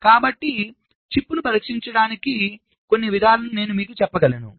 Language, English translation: Telugu, so i can tell you some procedure for testing the chip